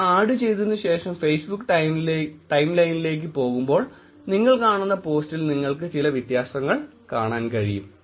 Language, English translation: Malayalam, When you add it, when you go to your Facebook timeline, you should be able to see some difference in the post that you are seeing